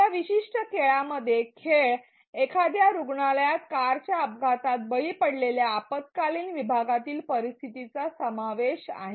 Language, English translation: Marathi, This particular game involves a scenario which is in an emergency department in a hospital where car crash victims have come